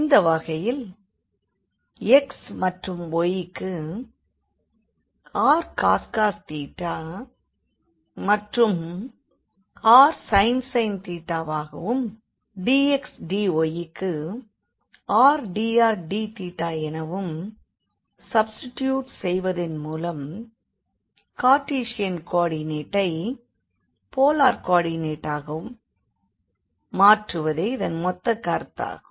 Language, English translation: Tamil, And in that case the whole idea was that if we have the integral here in the Cartesian coordinate, we can convert into the polar coordinate by just substituting this x and y to r cos theta and r sin theta and this dx dy will become the r dr d theta